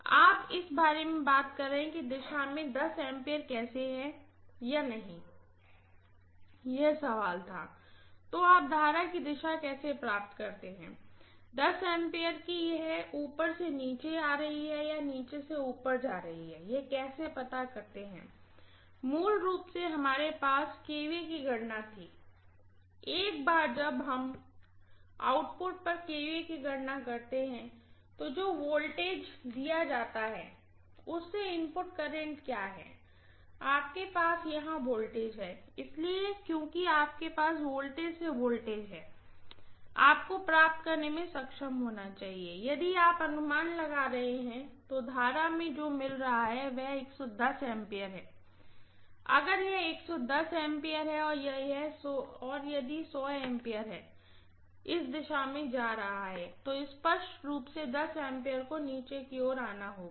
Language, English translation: Hindi, Ya, you are talking about how to find whether 10 amperes is in this direction, the question was, so how do you find the current direction, 10 ampere how do you know whether it is going from up to down or down to up, basically we had calculated the kVA, once you calculated the kVA at the output, you know what is the input current from the voltage that is given, you have the voltage here, so because you have the voltage from the voltage you should be able to get what is the kind of current you are anticipating, so the current what I am getting is 110 amperes, if this is 110 amperes and if 100 ampere is going in this direction, very clearly 10 ampere has to come downward